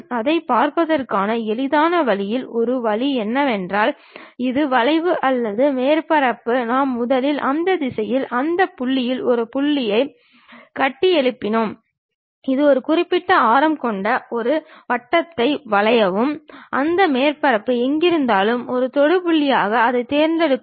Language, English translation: Tamil, One way of easiest way of looking at that is, this is the curve or surface what we have first construct a point in that normal to that direction, draw a circle with one particular radius, wherever that surface is a tangential point pick it